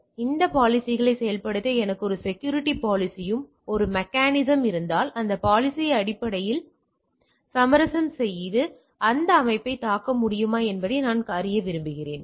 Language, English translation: Tamil, So, the I have a security policy a mechanism to implement those policies then I what I want to know that whether I can basically compromise this policy and attack this the system, right